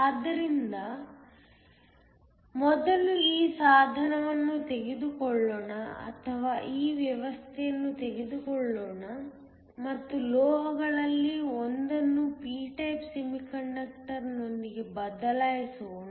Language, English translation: Kannada, So, Let me first take this device or let me take this arrangement and replace one of the metals with a p type semiconductor